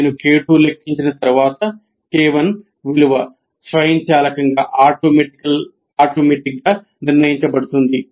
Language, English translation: Telugu, And once I compute K2, K1 is automatically decided